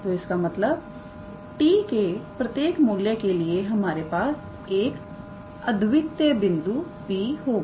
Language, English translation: Hindi, So that means, for every value of t we get a unique point P